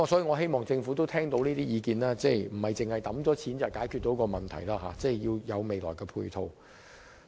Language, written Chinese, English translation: Cantonese, 我希望政府能夠聽取意見，明白單靠撥款不足以解決問題，日後仍要有其他配套。, I hope the Government will take on board my advice and realize that funding alone cannot solve the problems and other support will be required in the future